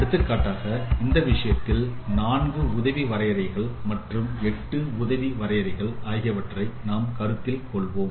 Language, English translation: Tamil, For example, we can consider the four neighborhood definition or eight neighborhood definition in this respect